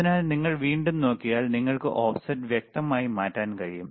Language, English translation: Malayalam, So, if you see again, the offset, you can you can clearly change the offset